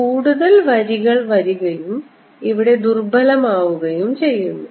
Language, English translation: Malayalam, so more lines come in and weaker here